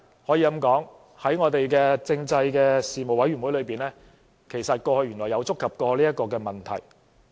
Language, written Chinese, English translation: Cantonese, 可以這樣說，在政制事務委員會裏，過去原來曾觸及這個問題。, We may say that this issue turns out to be one that has already been touched on by the Panel on Constitutional Affairs